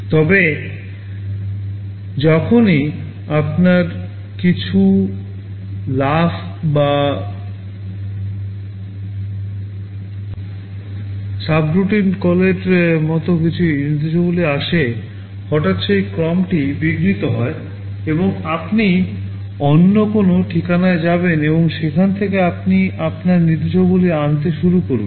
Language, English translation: Bengali, But, whenever you have some instructions like jump or a subroutine call, suddenly that sequence will be disturbed, and you will be going to some other address and from there you will be starting to fetch your instructions